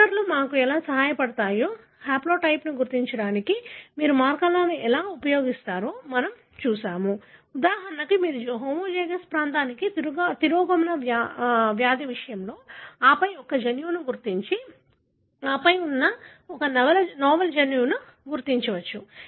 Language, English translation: Telugu, We have looked at how markers help us, how you use markers to identify the haplotype, how do you narrow down, for example in case of recessive disease for a homozygous region and then locate a gene and then identify a novel gene which may cause a particular disease